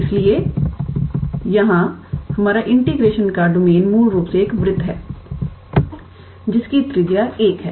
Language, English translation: Hindi, So, here our domain of integration is basically this circle with radius one right